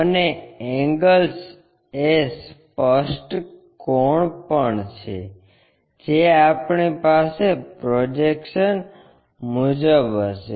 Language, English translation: Gujarati, And, the angles are also apparent angles we will have it as projections